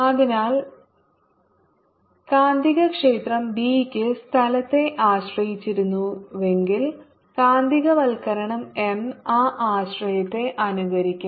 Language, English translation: Malayalam, so if magnetic field b has certain kind of dependence on the space, magnetization m will mimic that dependence